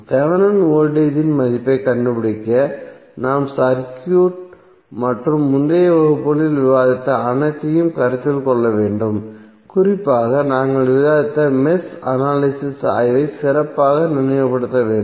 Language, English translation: Tamil, To find the value of Thevenin voltage we have to consider the circuit and whatever we discussed in previous classes we have to just recollect our study specially the mesh analysis which we discussed